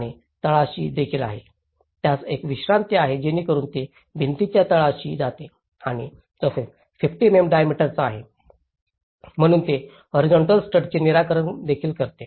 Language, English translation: Marathi, And there is also in the bottom, it have a recess so it goes into the wall base and as well as 50 mm diameter, so it fix the horizontal stud as well